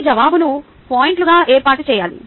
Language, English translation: Telugu, your answer should be organized into points